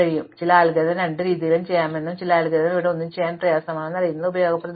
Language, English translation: Malayalam, But, it is useful to know that certain algorithms can be done both ways and certain algorithm it is difficult to do one way